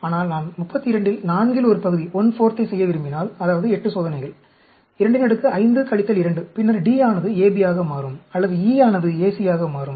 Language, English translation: Tamil, But, if I want to do one fourth of 32, that is 8 experiments, 2 power 5 minus 2, then, D will become AB, or E will become AC